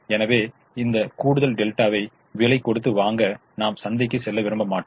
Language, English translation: Tamil, therefore, i will not go to the market to pay a price to buy that extra delta